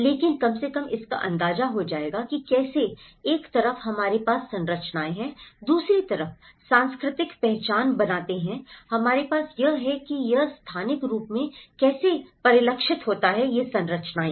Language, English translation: Hindi, But at least it will get an idea of how, on one side we have the structures that create the cultural identity, on the other side, we have how it is reflected in the spatial structures